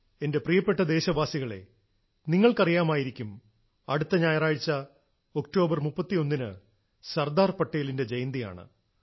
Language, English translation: Malayalam, you are aware that next Sunday, the 31st of October is the birth anniversary of Sardar Patel ji